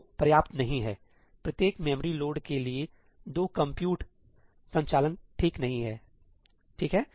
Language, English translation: Hindi, Two is not good enough; two compute operations for every memory load not good enough, right